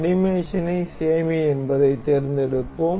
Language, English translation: Tamil, We will select save animation